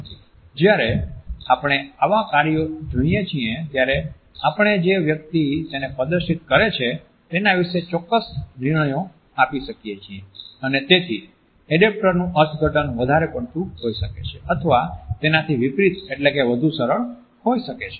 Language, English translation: Gujarati, At when we view such acts, we may make certain judgments about the person who is displaying them and therefore, the interpretation of an adaptor either may be overstated or it may also be conversely oversimplified